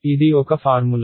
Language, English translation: Telugu, It is a formula